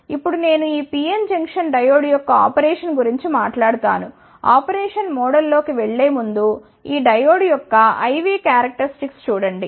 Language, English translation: Telugu, Now, I will talk about the operation of this PN junction diode, before going into the operation mode just see the I V Characteristics of this diode